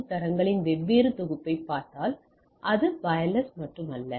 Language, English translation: Tamil, And if we look at that different set of IEEE 802 standards it is not only wireless